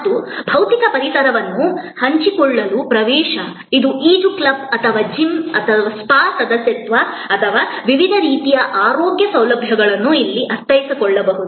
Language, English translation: Kannada, And access to share physical environment, this is like membership of a swimming club or gym or spa or various kinds of health care facilities can be understood in this